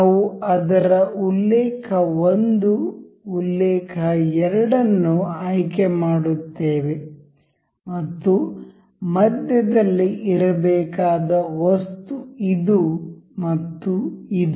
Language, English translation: Kannada, We will select its reference 1 reference 2 and the item that has to be in the center say this one and this